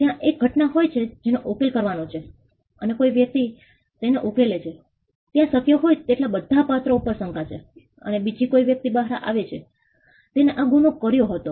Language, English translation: Gujarati, There is an event which has to be solved and somebody solves it there is a suspicion on the most possible characters and somebody else turns out to be the person who actually did the crime